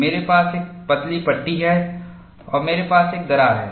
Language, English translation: Hindi, I have a thin panel and I have a crack